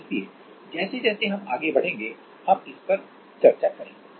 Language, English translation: Hindi, So, we will discuss this as we move along